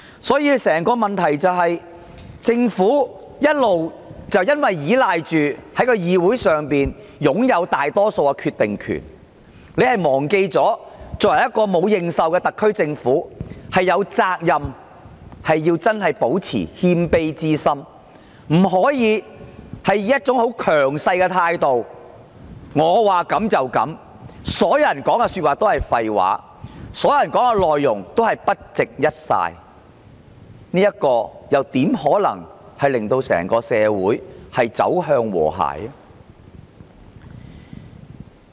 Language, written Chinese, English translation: Cantonese, 所以，問題的癥結是政府一直倚賴它在議會內擁有大多數的決定權，卻忘記一個沒有認受的特區政府真的應保持謙卑之心，不能以一種強勢的態度說了算，其他人說的都是廢話，都不值一哂，這樣又怎可以令到整個社會走向和諧？, Therefore the crux of the problem is that the Government has all along relied on having a decisive power to be exercised by the vast majority in the Council yet it forgets that the SAR Government with no public recognition should really stay humble . It cannot assume a dominant attitude to monopolize all the say and regard other peoples views worthless . Otherwise how can it drive the whole society towards harmony?